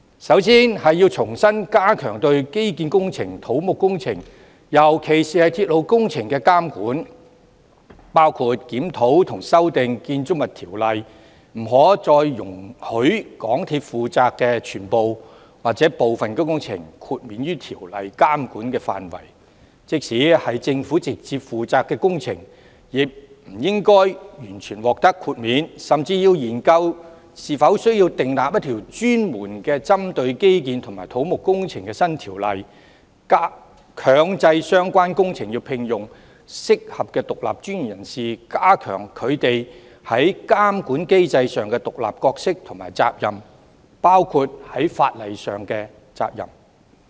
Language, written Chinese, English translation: Cantonese, 首先，應重新加強對基建、土木工程，尤其是鐵路工程的監管，包括檢討和修訂《建築物條例》，不可再容許港鐵負責的全部或部分工程豁免於條例監管的範圍，即使屬政府直接負責的工程，亦不應完全獲得豁免，甚至要研究是否需要訂立一條專門針對基建及土木工程的新條例，強制相關工程聘用合適的獨立專業人士，加強他們在監管機制上的獨立角色和責任，包括法律責任。, It cannot allow projects under the charge of MTRCL to be fully or partially exempted from the regulation under the Ordinance anymore . Even projects directly under the charge of the Government should not enjoy full exemption either . It is also necessary to study the need to enact a new law focusing on infrastructural and civil engineering works and mandate the engagement of suitable independent professionals in the relevant projects such that their independent roles and responsibilities in the monitoring mechanism including legal responsibilities can be enhanced